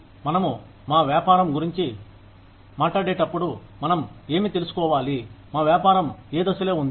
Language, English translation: Telugu, When we talk about our business, we need to know, what stage our business is at